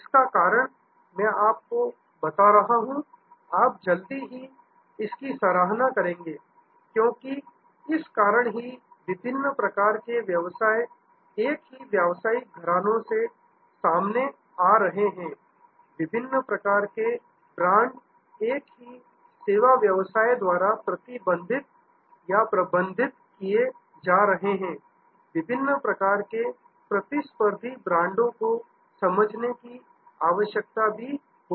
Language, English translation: Hindi, The reason I am putting this to you is that, you will appreciate soon, that because of this different types of businesses coming from the same house, different types of brands being managed by the same services business, there will be a necessity to understand the different types of competitive positions